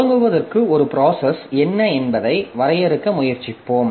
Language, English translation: Tamil, To start with, we will try to define like what is a process